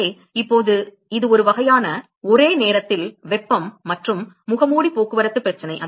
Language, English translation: Tamil, So, now, so, this is a sort of a simultaneous heat and mask transport problem